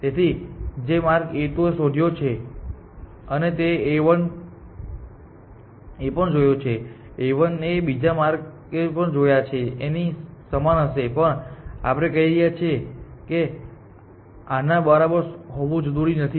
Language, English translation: Gujarati, So, whichever path A 2 found a 1 would have also seen that path, but may it had seen some other path as well be equal, but we are saying it does not have to be equal